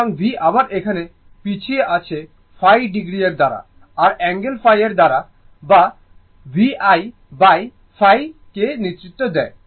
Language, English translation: Bengali, So, again I is lagging here also I lags ah V by phi phi degree ah by an angle phi or v leads your I by phi